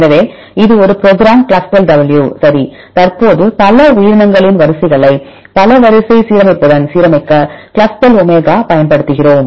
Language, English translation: Tamil, So, this is a program ClustalW right currently we are using Clustal omega right to align sequences of the several organism with multiple sequence alignment